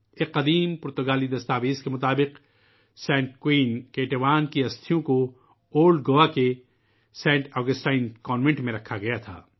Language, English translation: Urdu, According to an ancient Portuguese document, the mortal remains of Saint Queen Ketevan were kept in the Saint Augustine Convent of Old Goa